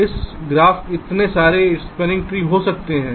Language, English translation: Hindi, ok, so for this graph, there can be so many possible spanning trees